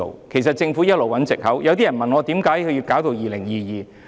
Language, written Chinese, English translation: Cantonese, 其實政府一直在找藉口，有些人問我，為何要待2022年才實行？, In fact the Government has been fishing for excuses . Some people asked me why it has to be implemented in 2022?